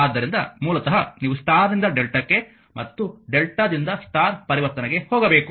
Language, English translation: Kannada, So, how to because basically you have to either star to delta and delta to star conversion; so, how we do this